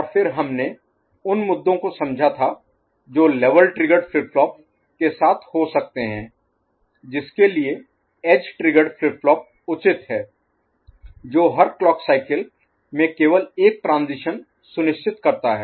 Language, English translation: Hindi, And then we understood the issues that could be there with level triggered flip flop for which edge triggered flip flop is advisable, which ensures only one transition per clock cycle